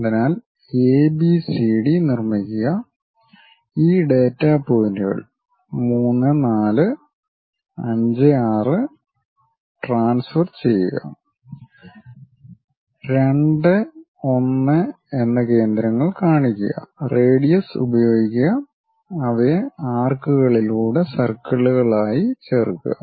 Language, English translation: Malayalam, So, construct AB CD transfer these data points 3 4 and 5 6 locate centers 2 and 1, use radius, join them as circles through arcs